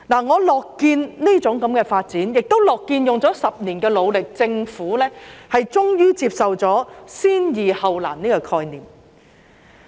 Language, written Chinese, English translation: Cantonese, 我樂見這種發展，亦樂見花了10年的努力，政府終於接受了"先易後難"的概念。, I am glad to see this kind of development and I am also happy to see that after 10 years of hard work the Government has finally accepted the concept of resolving the simple issues before the difficult ones